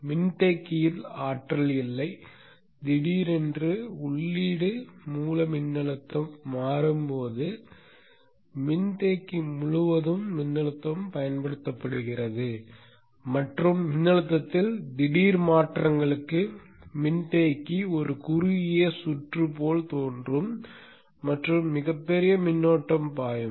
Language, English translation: Tamil, And when suddenly the input source voltage switches on, the voltage is applied across the capacitor and for sudden changes in the voltage the capacity will appear as a short circuit and a very huge current will flow